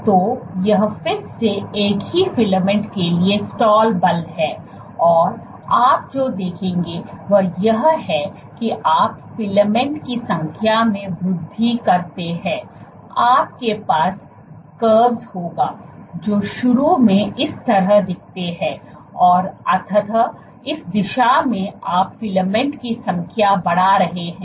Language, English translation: Hindi, So, not the stall force the number of filaments you will have curves which look like this initially and eventually this direction you are increasing the number of filaments